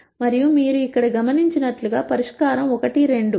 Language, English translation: Telugu, And as you notice here the solution is 1 2